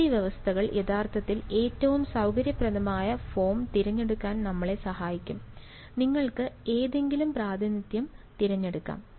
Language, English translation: Malayalam, So, boundary conditions are actually what will help us to choose which is the most convenient form, you can choose either representation